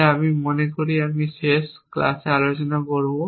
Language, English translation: Bengali, so as we I think discuss in the last class